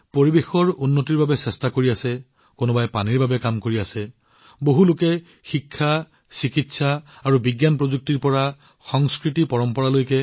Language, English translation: Assamese, Similarly, some are making efforts for the environment, others are working for water; many people are doing extraordinary work… from education, medicine and science technology to culturetraditions